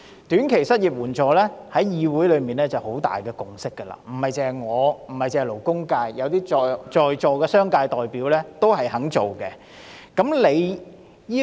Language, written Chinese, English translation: Cantonese, 短期失業援助金計劃在議會內已取得很大共識，除了我和勞工界，在座的商界代表也贊成。, The short - term unemployment assistance scheme has reached a broad consensus in the legislature . Apart from me and the labour sector the attending representatives from the business sector have also expressed support